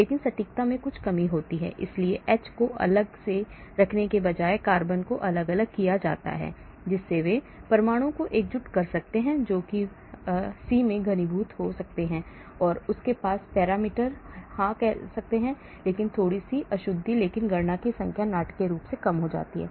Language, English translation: Hindi, but there is some reduction in accuracy so instead of putting H separately, carbon separately they may have united atom which may condense H into the C and they may have parameter so, but little bit of inaccuracy but the number of calculations reduce dramatically